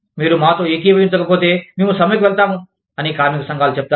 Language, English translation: Telugu, Labor unions say, well, if you do not agree with us, we will go on strike